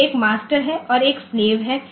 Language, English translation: Hindi, So, there is a master and there is a slave ok